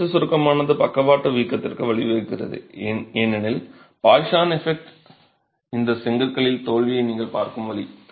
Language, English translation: Tamil, So, axial compression leading to lateral bulging because of the poisons effect is the way you would see the failure in these bricks themselves